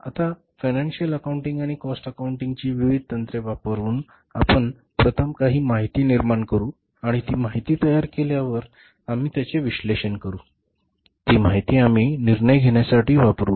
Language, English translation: Marathi, So, now by using the different techniques of the financial accounting and the cost accounting, we will first generate some information and after generating that information, we will analyze it and we will use that information for the decision making